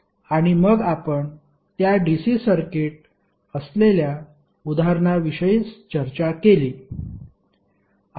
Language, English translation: Marathi, And then we discussed the example which was essentially a DC circuit